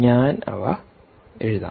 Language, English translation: Malayalam, let's put down that